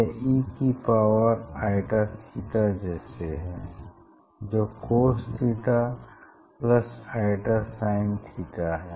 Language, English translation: Hindi, this it will be e to the power i theta you know cos theta plus i sin theta